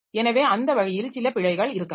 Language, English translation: Tamil, So that way there may be some errors